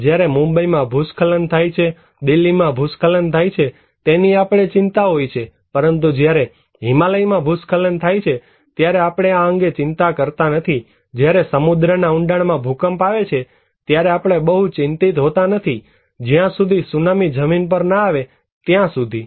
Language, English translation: Gujarati, When there is an landslide in Mumbai, landslide in Delhi we are concerned about but when there is an landslide in Himalaya, we are not concerned about this, when there is an earthquake in deep sea, we are not very much concerned unless and until the tsunami is coming on the mainland